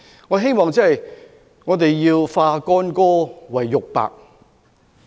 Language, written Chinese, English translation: Cantonese, 我希望我們化干戈為玉帛。, I hope that we can achieve rapprochement